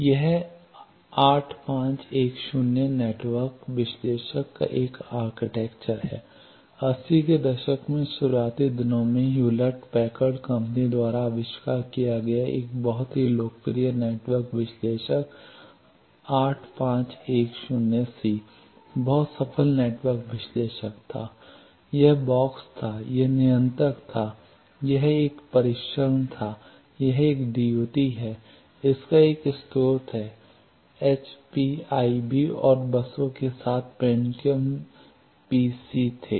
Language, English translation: Hindi, This is an architecture of 8510 network analyzer, a very popular network analyzer invented by Hewlett Packard company in early eighties very successful network analyzer 8510 c, it had this was the box, this was the controller, this was a test is parameter is test set is DUT, it has a source then there were 20 MPC's with HPIB and buses